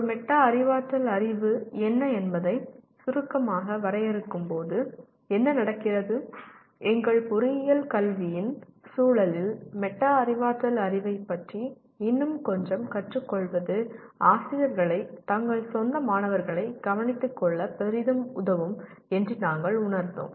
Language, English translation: Tamil, And what happens is while we define what a Metacognitive knowledge briefly, we felt in the context of our engineering education that learning a little more about metacognitive knowledge will greatly empower the teachers to take care of their own students